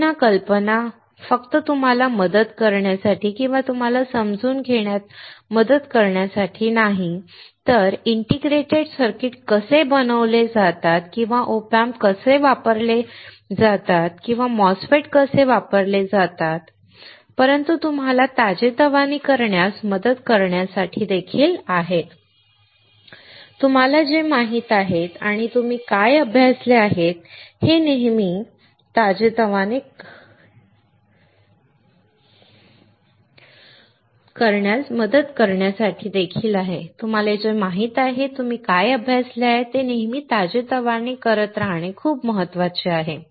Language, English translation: Marathi, Again, the idea is not only to help you guys or to help you to understand, but how the integrated circuits are fabricated or how the OP Amps are used or how the MOSFETS are used, but also to help you to refresh; It is very important always to keep on refreshing what you know and what you have studied